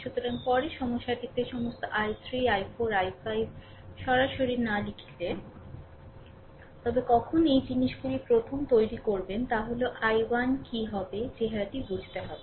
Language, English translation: Bengali, So, later actually we did not write all i 3 i 4 i 5 anything in the problem directly we have written, but when will make such things first thing is what will be the i 1 we have to understand look